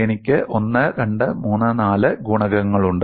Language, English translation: Malayalam, I have 1, 2, 3, 4 coefficients